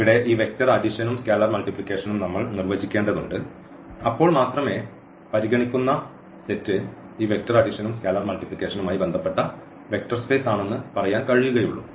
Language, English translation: Malayalam, And, here we need to define again this vector addition and scalar multiplication then only we will say that this is a vector space with respect to this scalar multiplication, this vector addition and this set of real number R which we are considering